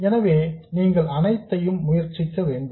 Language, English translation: Tamil, So, you have to try all of them